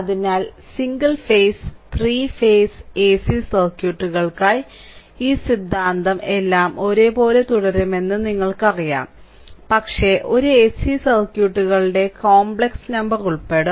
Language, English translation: Malayalam, So, while we go for single phase as well as three phase ac circuits, at that time this you know this theorem all will remain same, but as AC a AC circuits complex number will be involved